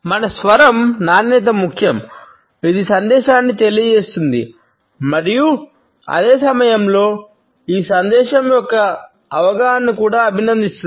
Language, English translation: Telugu, Our voice quality is important it conveys the message and at the same time it also compliments the understanding of this message